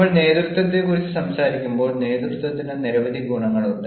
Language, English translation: Malayalam, and when we talk about leadership, the leadership ah has several ah, you know qualities